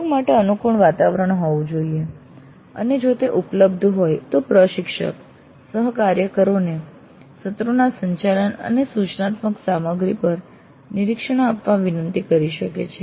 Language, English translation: Gujarati, So there must exist an environment which is conducive to cooperation and if that is available then the instructor can request the colleague to give observations on the contact of the sessions and the instructional material